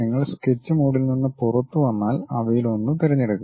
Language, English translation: Malayalam, If you come out of sketch mode pick one of them